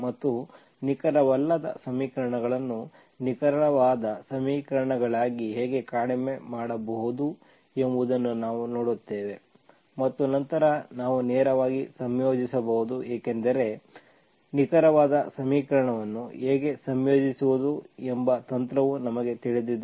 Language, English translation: Kannada, And also we will see how to reduce non exact equations into exact equations and then we can integrate directly because we know the technique of how to integrate an exact equation